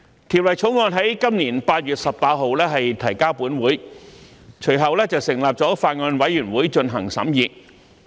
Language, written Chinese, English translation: Cantonese, 《條例草案》於今年8月18日提交本會，隨後本會成立了法案委員會進行審議。, The Bill was introduced to this Council on 18 August this year and a Bills Committee was subsequently formed for its scrutiny